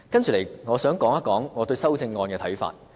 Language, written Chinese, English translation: Cantonese, 接着，我想提出我對修正案的看法。, Next I would like to express my views on the amendments